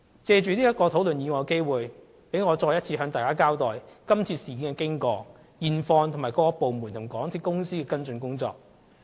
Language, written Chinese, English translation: Cantonese, 藉討論這議案的機會，讓我再次向大家交代今次事件的經過、現況，以及各部門和港鐵公司的跟進工作。, In this present discussion I wish to inform Members of the course of this incident the current situation and the follow - up actions of various departments and MTRCL again